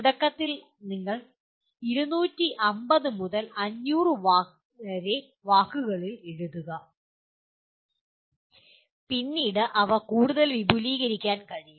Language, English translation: Malayalam, Initially you write 250 to 500 words and maybe later they can be further expanded